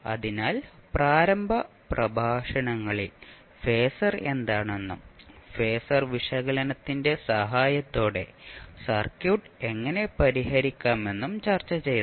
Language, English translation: Malayalam, So, in the initial lectures we discussed what is phasor and how we will solve the circuit with the help of phasor analysis